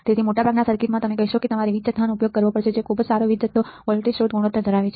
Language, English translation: Gujarati, So, some in most of the circuit you will say that you have to use power supply which is having a very good power supply voltage detection ratio